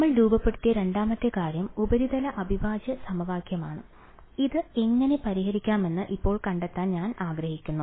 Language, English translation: Malayalam, The second thing that we formulated was the surface integral equation and we want to find out now how do we solve this ok